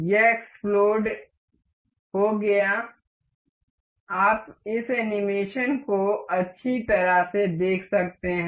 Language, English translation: Hindi, This explode, you can see this animation nicely